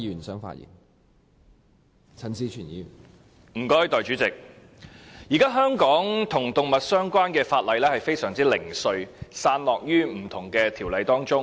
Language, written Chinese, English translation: Cantonese, 代理主席，現時香港與動物有關的法例非常零碎，散落於不同的條例中。, Deputy President at present animal - related provisions in Hong Kong are fragmentary and are incorporated in various ordinances